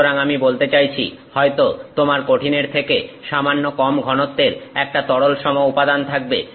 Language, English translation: Bengali, So, you have some I mean liquidish material with maybe little lower density than the solid